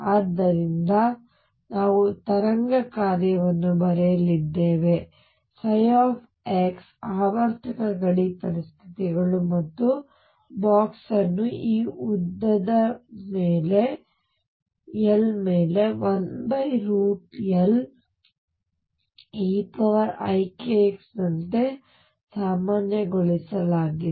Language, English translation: Kannada, And therefore, we are going to write wave function psi x with periodic boundary conditions and box normalized over this length L as 1 over root L e raise to i k x